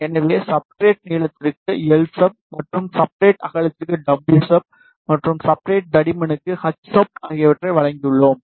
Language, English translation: Tamil, So, we have given the parameter l sub for substrate length, and w sub for substrate width, and h sub for substrate thickness